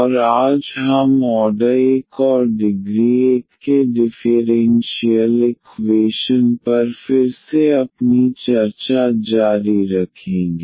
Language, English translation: Hindi, And today we will continue our discussion again on differential equations of order 1 and degree 1